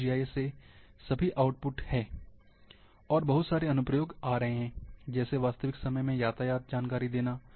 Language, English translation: Hindi, This is all the output from GIS and a lot of application is coming, which are real time traffic information